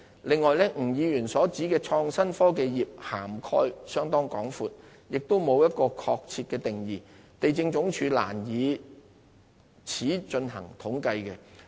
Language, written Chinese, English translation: Cantonese, 此外，吳議員所指的"創新科技業"涵蓋面相當廣闊，亦沒有一個確切的定義，地政總署難以此進行統計。, In addition the term innovation and technology industry as specified by Mr NG covers a wide range of operations and does not have a concrete definition . For these reasons it would be difficult for LandsD to compile any statistical data readily